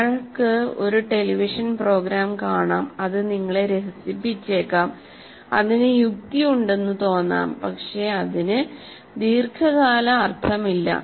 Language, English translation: Malayalam, You may watch a television program, it may entertain you, it makes sense to you, but it doesn't make, it has no long term meaning for you